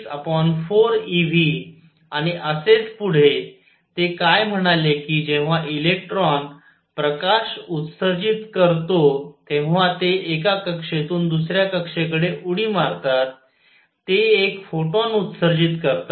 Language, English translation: Marathi, 6 over 4 e V and so on what he said is when electrons emit light they jump from one orbit to the other in doing so, they emit one photon